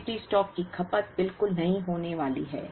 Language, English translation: Hindi, The safety stock is not going to be consumed at all